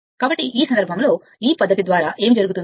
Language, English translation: Telugu, So, in this case what will happen the by this method